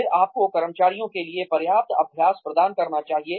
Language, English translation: Hindi, Then, you must provide, adequate practice for the employees